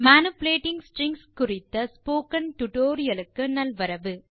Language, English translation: Tamil, Hi and Welcome to this tutorial on manipulating strings